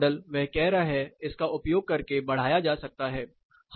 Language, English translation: Hindi, So, the same model he is saying can be extended using this